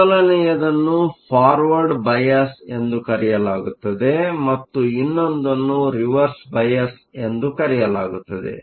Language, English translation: Kannada, First is called Forward bias and the next is called Reverse bias